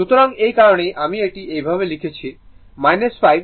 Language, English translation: Bengali, So, that is why I have written like this that minus 5 T by 4 into t dt